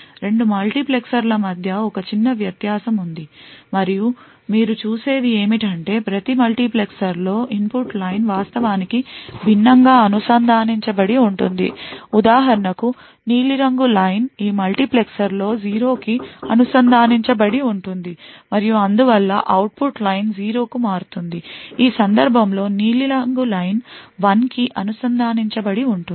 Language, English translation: Telugu, There is a minor difference between the 2 multiplexers and what you see is that the input line is actually connected differently in each multiplexer for example over here, the blue line is connected to 0 in this multiplexer and therefore will be switched to the output when the select line is 0, while in this case the blue line is connected to 1